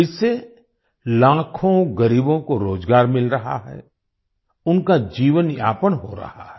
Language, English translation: Hindi, Due to this lakhs of poor are getting employment; their livelihood is being taken care of